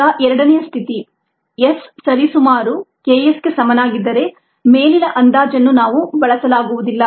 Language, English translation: Kannada, now is the second condition: if s is is approximately equal to k s, then we cannot use the above approximation